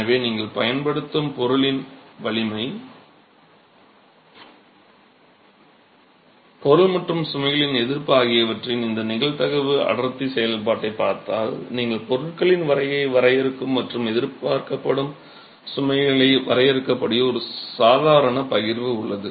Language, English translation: Tamil, So, if you were to look at this probability density function of the strength of the material that you are using, the resistance of the material and of the loads, you have a standard normal distribution that can define the material strengths and define the expected loads on the system itself